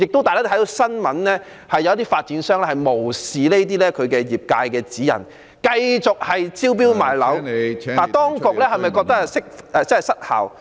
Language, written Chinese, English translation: Cantonese, 大家看看新聞報道，也知道有些發展商無視業界的指引，繼續招標賣樓，當局是否......, If Members have read news reports they will know that some developers have disregarded the guidelines for the sector and continued to sell units by way of tender . Do the authorities